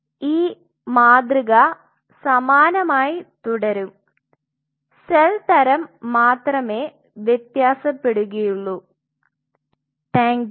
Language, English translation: Malayalam, And this paradigm will remain the same only the cell type will vary